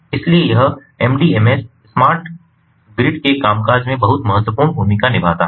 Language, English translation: Hindi, so it it plays the mdms plays a very important, very crucial role in the functioning of the smart grid